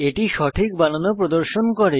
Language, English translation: Bengali, It also displays the correct spelling